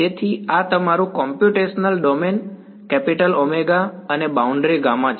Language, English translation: Gujarati, So, this is your computational domain, capital omega and the boundary is gamma right